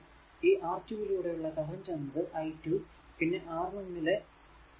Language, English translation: Malayalam, So, that means, your v 1 is equal to i into R 1 and v 2 is equal to i into R 2